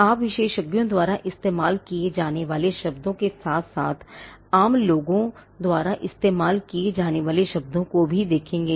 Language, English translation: Hindi, And you would also look at words used by experts, as well as words used by laymen